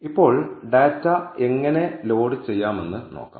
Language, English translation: Malayalam, Now, let us see how to load the data